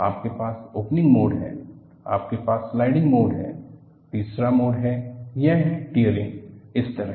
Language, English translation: Hindi, You have the opening mode, you have the sliding mode and the third mode is it is tearing like this